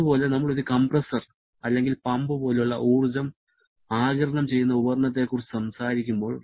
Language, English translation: Malayalam, Similarly, when we are talking about energy absorbing device like a compressor or a pump